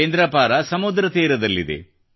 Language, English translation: Kannada, Kendrapara is on the sea coast